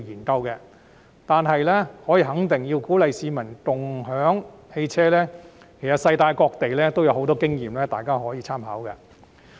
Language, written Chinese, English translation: Cantonese, 但是，可以肯定，要鼓勵市民共享汽車，其實世界各地有很多經驗，大家可以參考。, However it is certain that various places in the world have lots of experience of encouraging people to share rides from which Honourable colleagues can draw reference